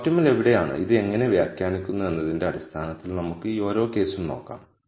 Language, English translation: Malayalam, So, let us look at each of this case in terms of where the optimum lies and how we interpret this